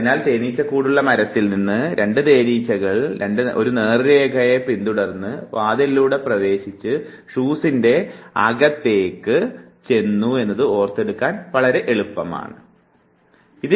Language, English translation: Malayalam, So, all you have to memorize, it is very easy to visualize a tree with a hive 2 bees following a straight line entering through a door and there entering into a shoe